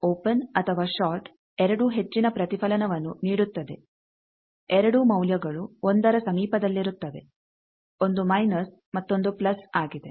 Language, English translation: Kannada, Either an open or short both gives high reflection both values are near 1, 1 is minus 1 another is plus 1